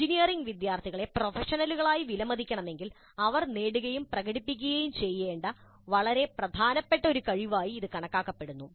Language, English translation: Malayalam, And this is considered as an extremely important competence that engineering students must acquire and demonstrate if they are to be valued as professionals